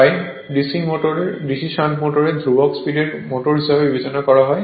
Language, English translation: Bengali, Therefore the DC shunt motor is therefore, considered as a constant speed motor